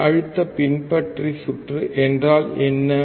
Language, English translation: Tamil, What is voltage follower circuit